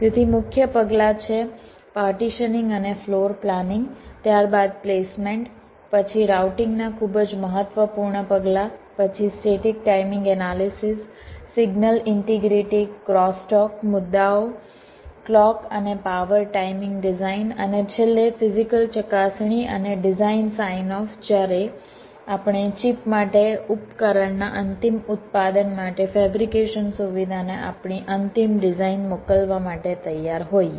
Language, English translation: Gujarati, so the main steps are partitioning and floor planning, followed by placement, then the very important steps of routing, then static timing analysis, signal integrity, crosstalk issues, clock and power timing design and finally physical verification and design sign off when we are ready to send our final design to the fabrication facility for the, for the ultimate manufacturing of the device, for the chip